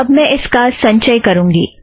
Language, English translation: Hindi, Now let me compile this